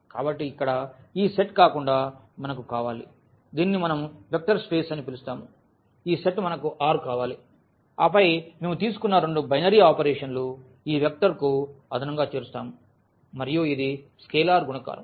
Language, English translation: Telugu, So, we need other than this set here we which we will call vector space we need this set R which we have taken and then two binary operations which we call this vector addition and this is scalar multiplication